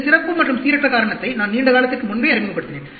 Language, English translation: Tamil, I introduced the term this special and random cause long time back